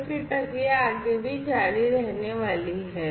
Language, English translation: Hindi, And then you know the process is going to continue further